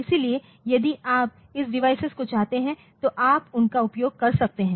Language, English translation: Hindi, So, if you want to this devices you can use them